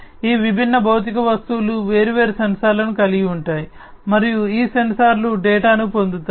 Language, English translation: Telugu, So, these different physical objects will have different sensors, and these sensors will acquire the data